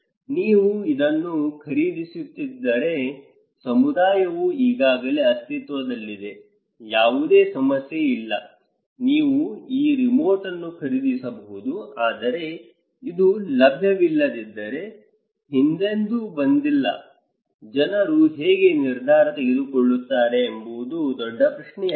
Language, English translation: Kannada, If you are buying this one is already existing a community no problem, you can buy this remote but if you are; if this one is not available, never came before so, how people would make a decision that is a big question